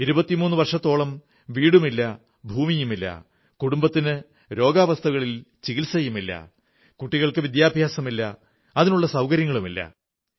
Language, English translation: Malayalam, For 23 years no home, no land, no medical treatment for their families, no education facilities for their kids